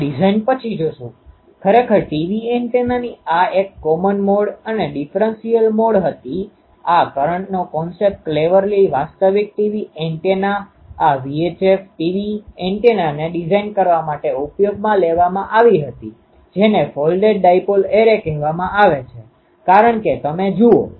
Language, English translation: Gujarati, Will later see that a design actually the TV antenna was this common mode and um differential mode this current concept was cleverly used to design a actual TV antennas, this VI chip, TV antennas which is called folded dipole array because you see